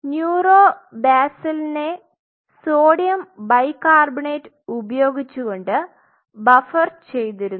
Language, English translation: Malayalam, So, neuro basal is being buffered using sodium bicarbonate sodium bicarbo buffering